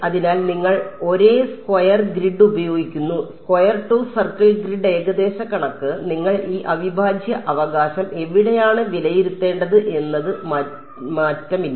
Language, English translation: Malayalam, So, you use the same square grid, square to circle grid approximation, you do not change the where you would evaluate this integral right